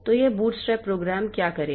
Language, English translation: Hindi, So, what this bootstrap program will do